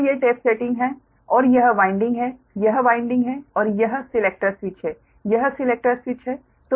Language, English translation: Hindi, so these are the, these are the tap settings and this is the winding, this is the winding right and this is selector switch